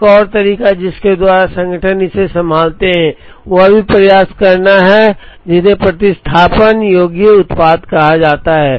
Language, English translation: Hindi, Another way, by which organizations handle this, is also to try and have what are called substitutable products